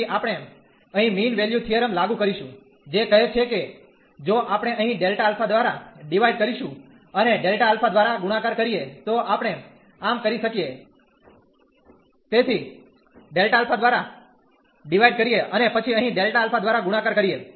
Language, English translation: Gujarati, So, we will apply the mean value theorem here, which says that if we divide here by delta alpha and multiply by delta alpha, so we can do so, so divide by delta alpha and then multiply by delta alpha here